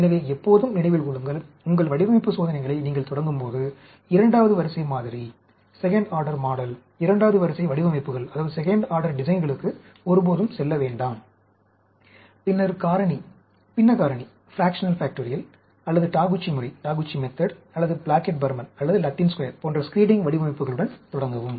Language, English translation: Tamil, So, always remember, when you start your design experiments, never go for second order model, second order designs; start with screening designs like fractional, fractional factorial, or Taguchi method, or Plackett Burman, or even Latin Square